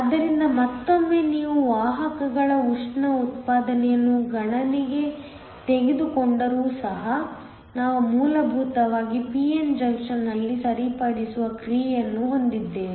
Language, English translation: Kannada, So, once again even if you take thermal generation of carriers into account, we essentially have a rectifying action in a p n junction